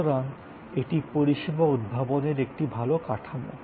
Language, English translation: Bengali, So, this is a good model for service innovation